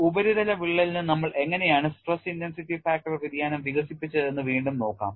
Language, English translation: Malayalam, And let us look at again how we developed the stress intensity factor variation for the case of a surface crack